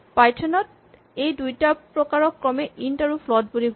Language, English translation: Assamese, So, in python these two types are called int and float